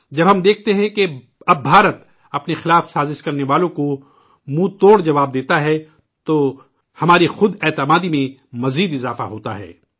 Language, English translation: Urdu, When we witness that now India gives a befitting reply to those who conspire against us, then our confidence soars